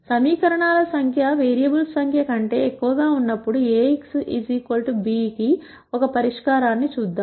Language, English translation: Telugu, Let us look at a solution to Ax equal to b when the number of equations are more than the number of variables